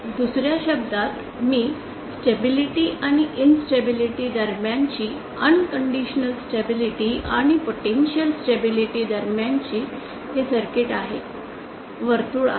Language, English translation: Marathi, In other words that I was mentioning between stability and instability between unconditional stability and potentially instable circuit is a circle